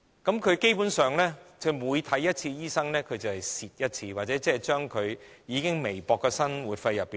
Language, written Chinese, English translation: Cantonese, 因此，基本上，他們每看一次醫生，便形同扣減他們已很微薄的生活費。, Hence every time they see a doctor their already slender living allowance will dwindle further